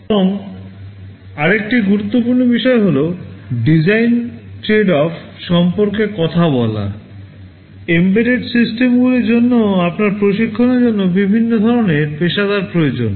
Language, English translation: Bengali, And another important thing is that talking about design tradeoffs, for embedded systems you need a different kind of trained professionals